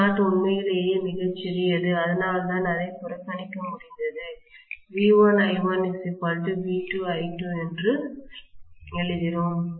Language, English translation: Tamil, Of course I not is really, really small that is why we were able to neglect it we wrote V1 I1 equal to V2 I2